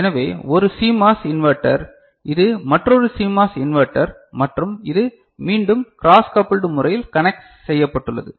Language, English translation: Tamil, So, one CMOS inverter this is another CMOS inverter and this is again connected in a cross coupled manner